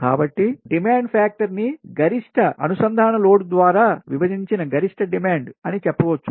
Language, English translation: Telugu, so demand factor can be given as maximum demand divided by total connected load